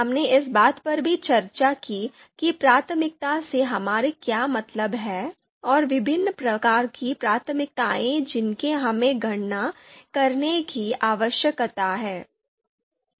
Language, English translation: Hindi, We also talked about what we mean by priority and the different types of priorities that we need to calculate